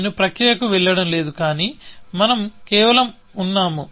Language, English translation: Telugu, I am not going to the process, but we are just